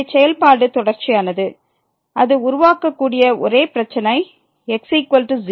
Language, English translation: Tamil, So, the function is continuous, the only problem it could create at is equal to